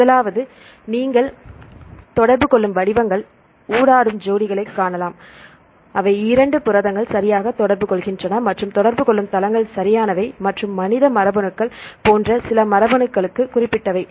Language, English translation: Tamil, First one is you can see the interacting patterns, interacting pairs, which two proteins interact right and the interacting sites right and specific to some of the genomes like human genomes